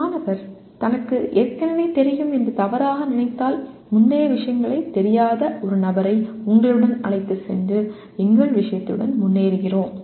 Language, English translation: Tamil, If a student mistakenly thinks that he already knows then we move forward with our subject taking a person along with you who did not know the earlier ones